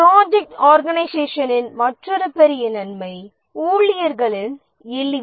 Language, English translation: Tamil, Another big advantage of the project organization is ease of staffing